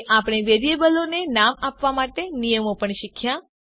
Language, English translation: Gujarati, And We have also learnt the rules for naming a variable